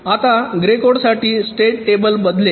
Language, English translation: Marathi, now for grey code, the state table will change